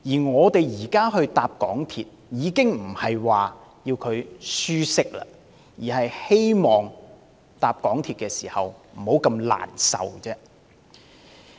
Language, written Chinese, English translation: Cantonese, 我們現時乘搭港鐵已不求舒適，只希望乘車過程不至那麼難受而已。, When travelling on MTR these days we look not for comfort but for less agonies on train journeys